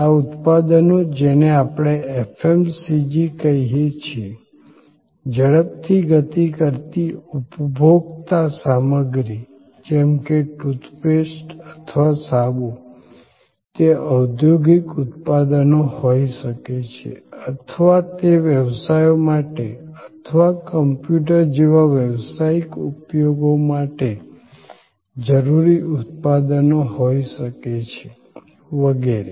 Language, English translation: Gujarati, These products could be what we call FMCG, Fast Moving Consumer Goods like toothpaste or soap, they could be industrial products or they could be products required for businesses or for professional use like a computer and so on